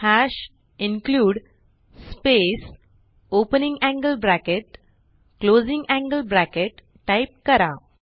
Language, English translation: Marathi, Type hash #include space opening angle bracket closing angle bracket